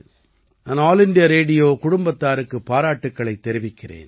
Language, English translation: Tamil, I congratulate the All India Radio family